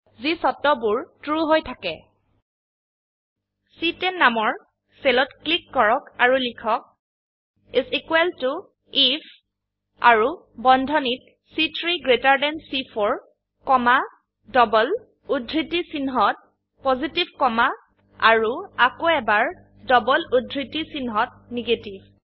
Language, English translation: Assamese, Lets click on the cell referenced as C10 and type, is equal to IF and within braces, C3 greater than C4 comma, within double quotes Positive comma and again within double quotes Negative